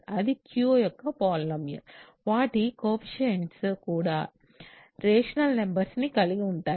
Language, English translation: Telugu, So, it is also a polynomial of Q if the coefficients are also rational numbers